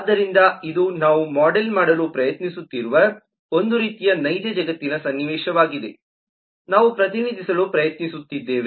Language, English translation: Kannada, so this is a kind of real world scenario that we are trying to model, that we are trying to represent